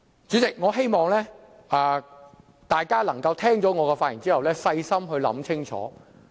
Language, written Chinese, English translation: Cantonese, 主席，我希望大家聽過我的發言後，可以細心想清楚。, Chairman I hope that after listening to my speech Members will think about it thoroughly